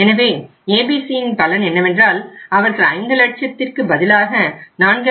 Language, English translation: Tamil, So the benefit to the ABC is they could get even 4